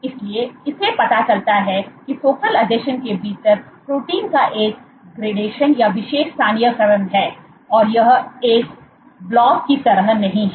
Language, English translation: Hindi, So, this shows that there is a gradation or special localization of proteins within the focal adhesion, it is not like a blob